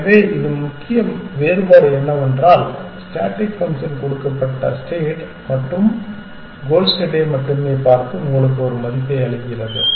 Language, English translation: Tamil, So, what is the key difference the static function only looks at the given state and the goal state and gives you a value